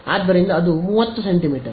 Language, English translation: Kannada, So, that is 30 centimeters